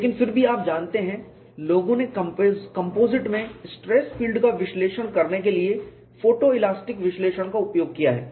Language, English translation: Hindi, But nevertheless you know, people have utilized photo elastic analysis for analyzing stress field in composites and that is what am going to show